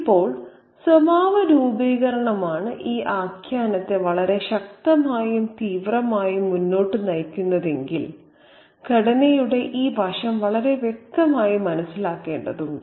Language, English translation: Malayalam, Now, so if characterization is what is that is driving this narrative forward very forcefully and powerfully, we need to understand this aspect of structure very, very clearly